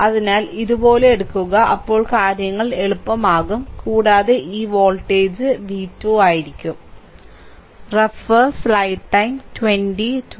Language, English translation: Malayalam, So, take take like this, then things will be easier for a right and these voltage these voltage is v 2, right